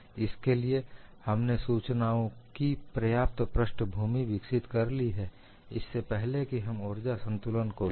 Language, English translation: Hindi, For that, we develop so much of background information, before we finally take up the energy balance equation